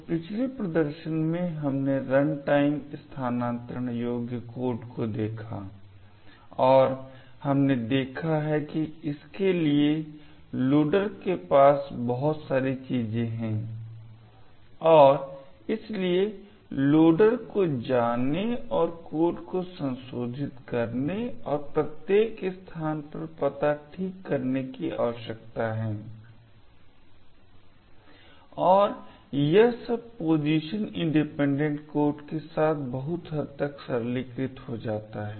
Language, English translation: Hindi, So, in the previous demonstration we looked at runtime relocatable code and we have seen that it requires that the loader have a lot of things to do and it requires the loader to go and modify the code and fix the address in each of the locations and a lot of this becomes much more simplified with a PIC, a position independent code